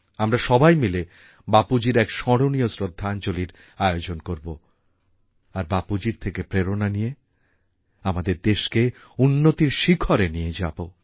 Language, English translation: Bengali, We all have to pay a memorable tribute to Bapu and have to take the country to newer heights by drawing inspiration from Bapu